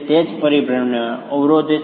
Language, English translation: Gujarati, That is what is blocking rotations